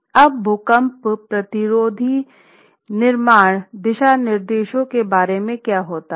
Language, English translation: Hindi, What about earthquake resistant construction guidelines